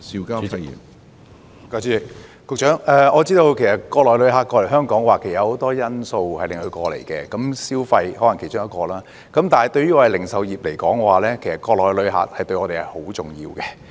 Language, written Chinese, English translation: Cantonese, 局長，我知道國內旅客來港的原因很多，購物消費可能是其中之一，但對於零售業而言，國內旅客十分重要。, Secretary I understand that shopping may only be one of the many reasons why the Mainland travellers visit Hong Kong but these travellers are really important to the retail industry